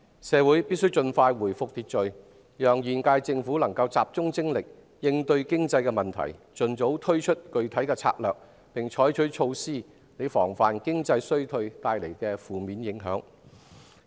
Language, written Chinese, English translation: Cantonese, 社會必須盡快回復秩序，讓現屆政府集中精力應對經濟問題，盡早推出具體策略，並採取措施防範經濟衰退帶來的負面影響。, Our society must return to order as soon as possible so that the current HKSAR Government can focus on tackling economic problems launch specific strategies as soon as possible and take measures to prevent the negative effects of economic recession